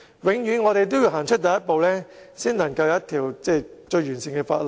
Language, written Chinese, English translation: Cantonese, 我們一定要踏出第一步，才能得到一項完善的法例。, Hence we must take the first step in order to have a comprehensive law